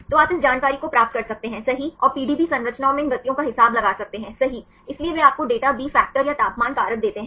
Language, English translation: Hindi, So, you can get this information right and account these motions in the PDB structures right this is what they give you the data B factor or the temperature factor